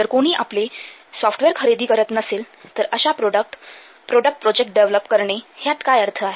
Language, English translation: Marathi, If nobody will purchase your software, then what's the point in developing the product, the project